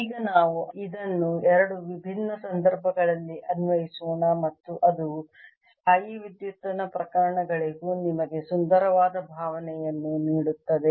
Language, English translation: Kannada, let us now apply this in two different situation and gives you very beautiful feeling for electrostatic cases also